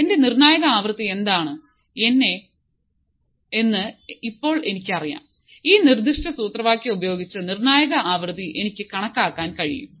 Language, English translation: Malayalam, So, now, I know; what is my critical frequency I can calculate critical frequency using this particular formula